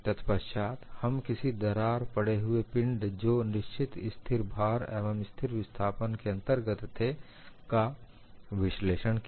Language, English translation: Hindi, Then we moved on to analyzing a crack body under constant load and constant displacement